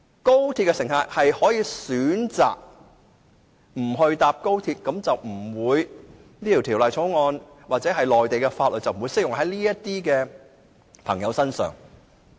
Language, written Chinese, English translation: Cantonese, 如果乘客不選擇乘搭高鐵，那麼《條例草案》或內地法律便不適用於這些乘客。, In other words the Bill or the laws of the Mainland will not be applicable to passengers who opt not to take XRL